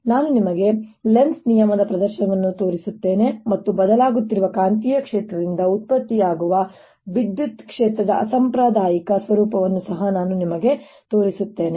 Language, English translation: Kannada, i'll show you demonstration of lenz's law and i'll also show you the non conservative nature of electric field produced by a changing magnetic field